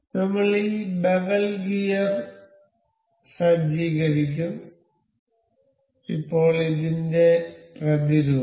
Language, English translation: Malayalam, We will set up this bevel gear, now the counterpart for this